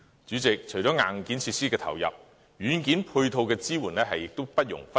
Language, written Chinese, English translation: Cantonese, 主席，除了硬件設施的投入，軟件配套的支援亦不容忽視。, President aside from allocation in hardware facilities we should not lose sight on the importance of software support